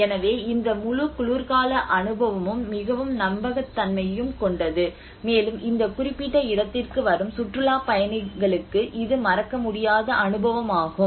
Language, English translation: Tamil, So that is how this whole winter experience is and very authentic, and it is unforgettable experience for the tourists who come to this particular place